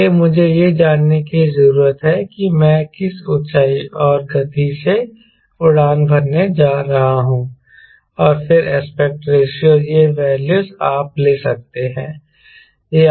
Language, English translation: Hindi, so i need to know the altitude and what speed i am going to fly and then aspect ratio this value is you can take